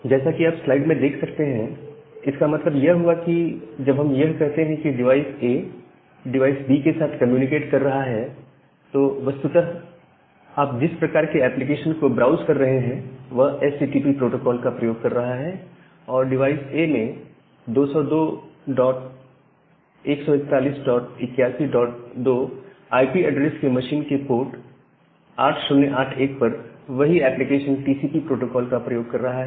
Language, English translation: Hindi, So that means, whenever we talk about that device A is communicating with device B during that time, it is actually if you are doing some kind of browsing application which is using HTTP protocol during that time the device A, the application which is using the TCP protocol at a port 8081 on the machine with IP address 202